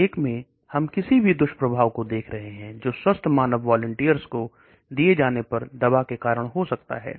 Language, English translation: Hindi, The phase 1 we are looking at any side effects that may be caused by the drug when it is given to healthy volunteers